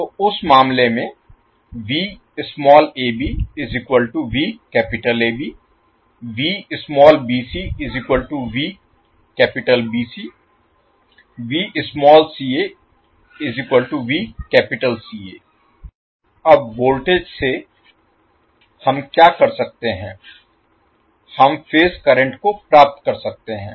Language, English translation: Hindi, Now from the voltages what we can do, we can obtain the phase currents